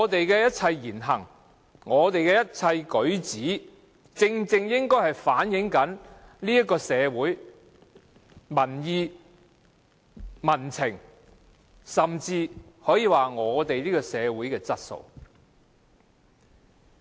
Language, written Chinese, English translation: Cantonese, 因此，我們的言行舉止，正正應該能反映社會民意、民情，甚至是社會質素。, Hence our demeanor must serve to reflect social opinion public sentiment and even social quality